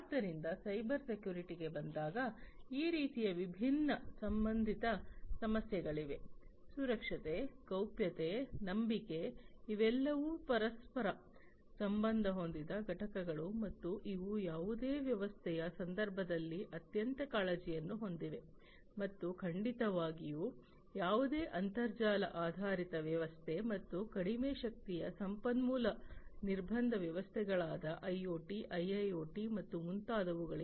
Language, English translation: Kannada, So, security, privacy, trust these are all interlinked entities and these are of utmost concern in the context in the context of any system, and definitely for any internet based system and much more for IoT and low powered resource constraint systems IoT, IIoT, and so on